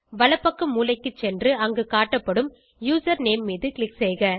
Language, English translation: Tamil, Go to the right hand side corner and click on the username displayed there